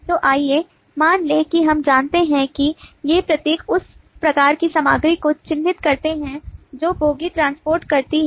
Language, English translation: Hindi, so let us suppose we know that these symbols characterize the type of content that the bogie transports